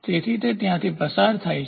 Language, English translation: Gujarati, So, it passes through